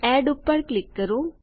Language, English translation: Gujarati, Click on Add